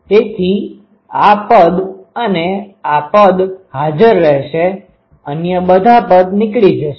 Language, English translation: Gujarati, So, this term and this term will be present all others will go out